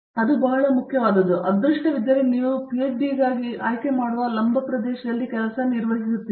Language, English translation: Kannada, That is a very important thing because if you are lucky you manage to work in the same vertical area that you choose for a PhD